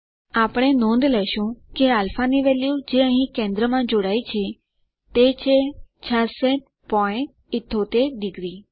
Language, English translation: Gujarati, We notice that the value of α here subtended at the center is 66.78 degrees